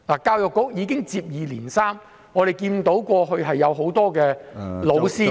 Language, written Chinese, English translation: Cantonese, 教育局已接連出現這些問題，我們看見過往有很多教師......, Such problems have continued to emerge in the Education Bureau . We have seen in the past many teachers